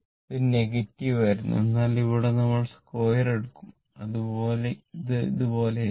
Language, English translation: Malayalam, Now, because it is square this was negative, but if you square it, is it is going like this